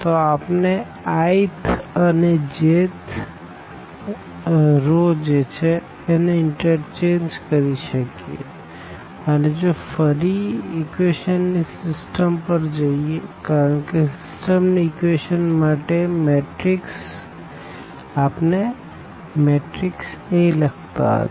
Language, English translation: Gujarati, So, we can interchange the i th and the j th row of a matrix and if going back to the system of equations because for the system of equations we are writing the matrix A